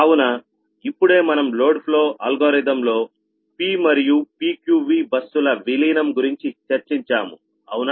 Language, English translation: Telugu, ok, so we have just now ah this thing ah discuss regarding incorporation of p and pqv buses in the load flow algorithm